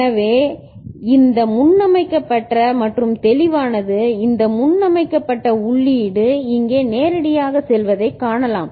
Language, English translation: Tamil, So, this preset and clear are there you can see this preset input is going directly over here ok